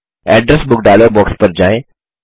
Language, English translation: Hindi, Go to the Address Book dialog box